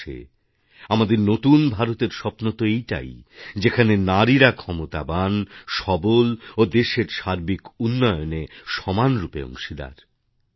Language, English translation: Bengali, After all, our dream of 'New India' is the one where women are strong and empowered and are equal partners in the development of the country